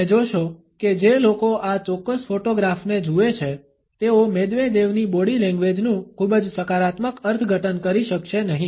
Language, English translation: Gujarati, You would find that people who look at this particular photograph would not be able to have a very positive interpretation of Medvedevs body language